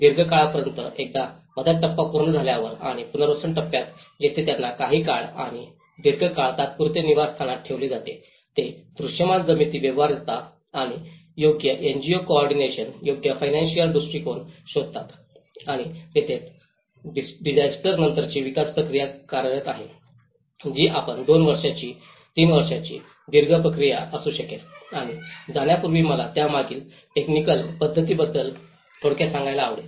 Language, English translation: Marathi, In a long run, once the relief stage is done and the rehabilitation stage where they are put in temporary housing for some time and long run they look for the visible land feasibility and appropriate NGO co ordinations, appropriate financial visibilities and that is where the post disaster development process works on, which you could be a two year, three year long run process, and before going I like to brief about the technical aspects behind it